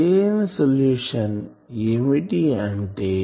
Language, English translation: Telugu, So, what will be the solution